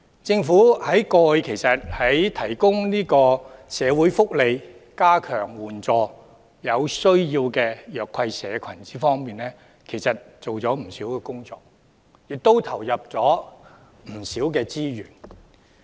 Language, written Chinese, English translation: Cantonese, 事實上，過去政府在提供社會福利、加強援助有需要的弱勢社群方面做了不少工作，也投入了不少資源。, In fact the Government has done a great deal and invested abundant resources in providing social welfare and enhancing the assistance to the disadvantaged social groups in need